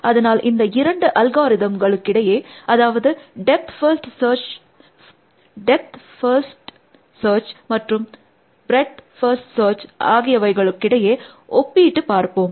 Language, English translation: Tamil, So, let us do a comparison of these two algorithms, that depth first search and breadth first search